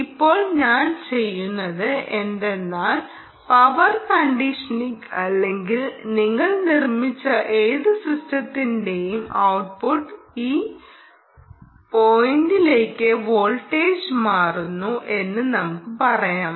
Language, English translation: Malayalam, ok, now what i will do is the output of whatever power conditioning or whatever system that you have done, let us say, fixes the voltage to this point, all right